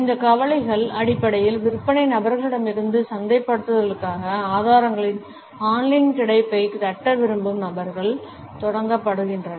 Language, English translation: Tamil, These concerns basically is started with the sales people, people who wanted to tap the online availability of resources for marketing